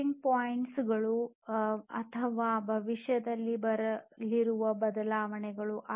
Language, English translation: Kannada, Tipping points or the changes that are coming in the future